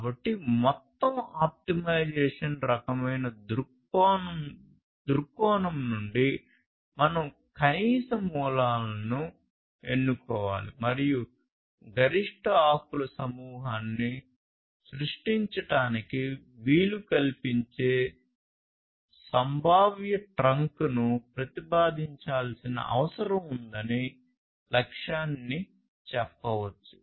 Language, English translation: Telugu, So, overall from a optimization kind of viewpoint; the goal can be stated like this that we need to select a minimum set of roots and propose a potential trunk that enables the creation of maximum set of leaves